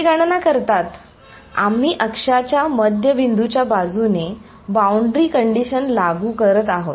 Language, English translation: Marathi, They calculating; we are enforcing the boundary conditional along the centre point of the axis